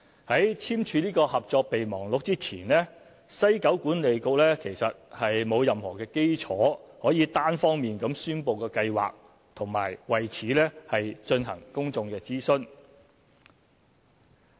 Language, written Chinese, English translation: Cantonese, 在簽署《合作備忘錄》前，西九管理局沒有任何基礎可以單方面宣布計劃和為此進行公眾諮詢。, Before signing MOU there was no basis on which WKCDA could unilaterally announce the plan and conduct public consultation